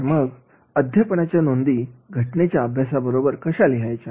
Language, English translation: Marathi, How to write the teaching notes along with the case study